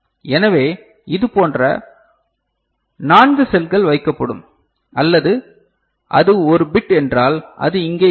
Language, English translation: Tamil, So, 4 such cells will be placed, is it clear or if it is just one bit then it is over here